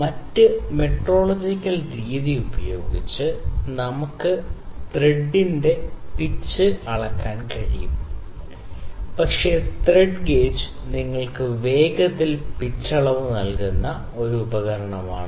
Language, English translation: Malayalam, We can measure the pitch of the thread using other metrological method, but the thread gauge is one instrument that will just give you quickly what is the pitch